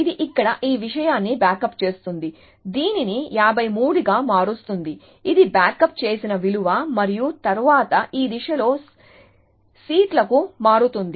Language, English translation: Telugu, So, it backs up this thing here, changes this to 53, which is the backed up value and then to seats along this direction